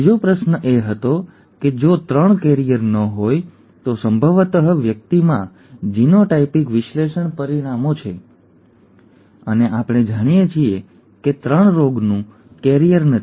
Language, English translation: Gujarati, The second question was; if 3 is not a carrier as, that is given probably the person has genotypic analysis analysis results and we know, we know that the 3 is not a carrier of the disease